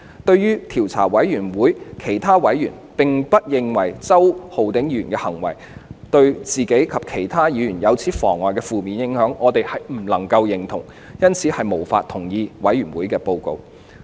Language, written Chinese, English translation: Cantonese, 對於調查委員會其他委員並不認為周議員的行為對自己及其他議員有如此嚴重的負面影響，我們絕對不能認同，因此無法同意委員會報告的內容。, We take absolute exception to the fact that other members of the Investigation Committee do not consider that the acts committed by Mr CHOW would cause such a serious negative impact on himself as well as other Members and we therefore cannot agree with the contents of the Report